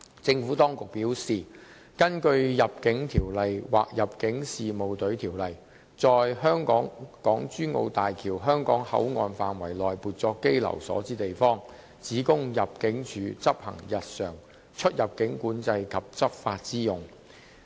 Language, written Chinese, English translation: Cantonese, 政府當局表示，根據《入境條例》或《入境事務隊條例》，在港珠澳大橋香港口岸範圍內撥作羈留所的地方，只供入境處執行日常出入境管制及執法之用。, The Administration advised that the area within HZMB HKP that was set aside as detention quarters under the Immigration Ordinance or the Immigration Service Ordinance would be solely used by ImmD for its routine immigration control and law enforcement duties